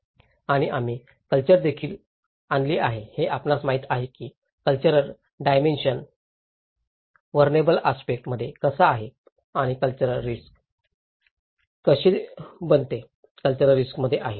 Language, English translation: Marathi, And also, we have brought the culture you know the how the cultural dimension into the vulnerable aspect and how culture becomes at risk, culture is at risk